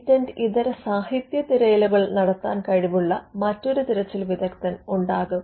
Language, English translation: Malayalam, You could have another searcher who is who has the competence to look at non patent literature searches